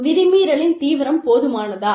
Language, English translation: Tamil, So, is the violation, serious enough